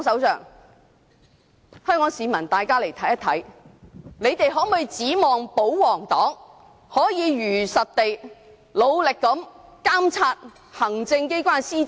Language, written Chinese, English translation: Cantonese, 請香港市民看一看，他們能否指望保皇黨可以如實地、努力地監察行政機關施政？, Can Hong Kong people expect the royalists to truthfully and diligently monitor the policy implementation of the executive authorities?